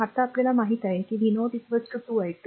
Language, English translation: Marathi, Now we know sub that v 0 is equal to 2 i 2, right